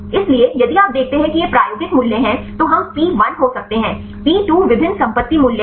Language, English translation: Hindi, So, here if you see these are the experimental values; so then we can have the P1, P2 are the different property values